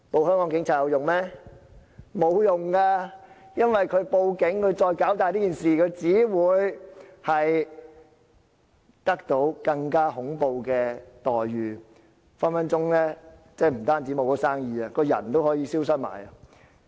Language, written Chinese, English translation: Cantonese, 因為如果他們報警，把事情搞大，他們只會得到更恐怖的待遇，不但可能會失去生意，連人也可能會消失。, No because if they report to the Police and escalate the matter they will only be subjected to more horrible treatment; not only may they lose business but they may even disappear